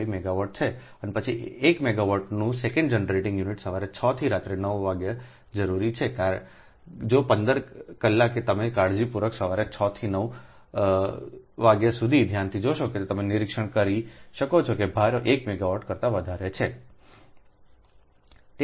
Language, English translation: Gujarati, and then, second, generating unit of one megawatt ah requires six am to nine pm, that fifteen hours, if you look carefully, at least six am to nine pm, you can observe that load is more than one megawatt